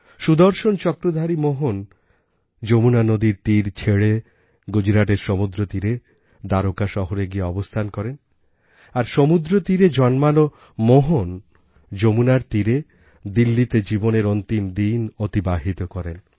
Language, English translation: Bengali, The Sudarshan Chakra bearing Mohan left the banks of the Yamuna for the sea beach of Gujarat, establishing himself in the city of Dwarika, while the Mohan born on the sea beach reached the banks of the Yamuna, breathing his last in Delhi